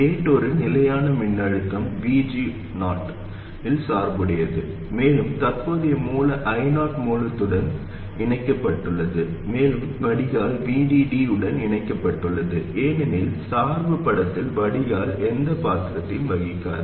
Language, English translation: Tamil, Now what we will try to do is to realize a constant voltage VG 0 and a current source I 0 is connected to the source and the drain is connected to the source and the drain is connected to VD because in the biasing picture the drain plays no role